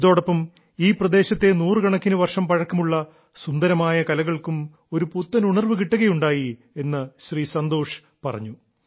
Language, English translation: Malayalam, Santosh ji also narrated that with this the hundreds of years old beautiful art of this region has received a new strength